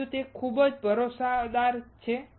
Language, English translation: Gujarati, Second is that it is highly reliable